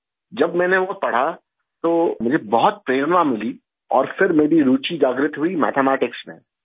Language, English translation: Urdu, When I read that, I was very inspired and then my interest was awakened in Mathematics